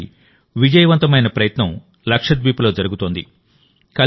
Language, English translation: Telugu, One such successful effort is being made in Lakshadweep